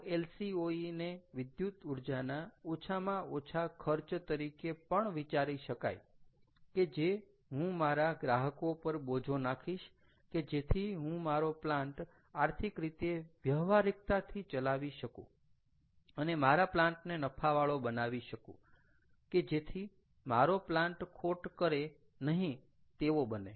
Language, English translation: Gujarati, ok, so lcoe can also be think, thought about as the minimum cost of electricity that i can charge to my customer to make this plant economically viable, to make this plant i wont save in profitable, to make this plant non loss making or not a losing proposition, right